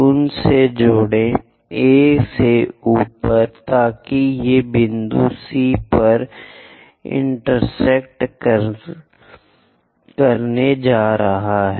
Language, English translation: Hindi, Join them, A to all the way up, so that these are going to intersect at point C